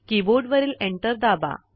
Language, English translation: Marathi, Press the Enter key on the keyboard